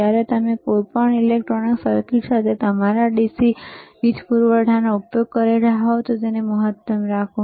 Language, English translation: Gujarati, wWhen you are using your DC power supply with any electronic circuit, then keep it at maximum